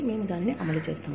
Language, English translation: Telugu, We implement it